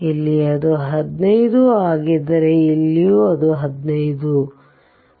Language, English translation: Kannada, If here it is 15 then here also it is 15 right